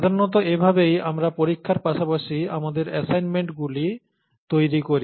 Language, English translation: Bengali, That's the way we typically design our assignments as well as the exams